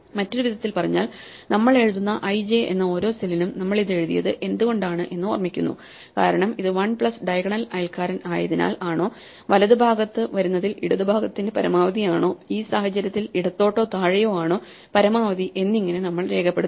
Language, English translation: Malayalam, In other words, for each cell i j that we write we remember whether we wrote it because it was one plus that diagonal neighbor or the maximum of the left in the right in which case we record whether the left or the bottom it was the maximum